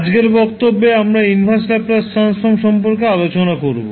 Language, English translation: Bengali, So, in today's class, we will discuss about the Inverse Laplace Transform